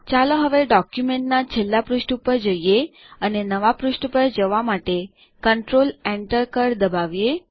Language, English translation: Gujarati, Now let us scroll to the last page of the document and press Control Enter to go to a new page